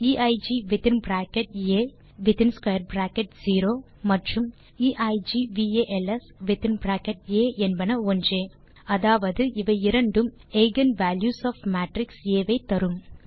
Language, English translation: Tamil, eig within bracket A within square bracket 0and eigvals within bracket A are same, that is both will give the eigen values of matrix A